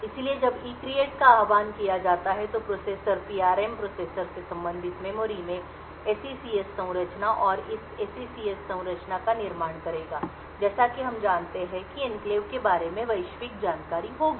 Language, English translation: Hindi, So, when ECREATE is invoked the processor would create an SECS structure in the PRM the processor related memory and this SECS structure as we know would contain the global information about the enclave